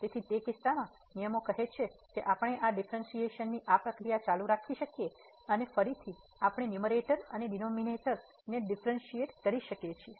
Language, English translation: Gujarati, So, in that case the rules says that we can continue this process of these differentiation and again we can differentiate the numerator and again the denominator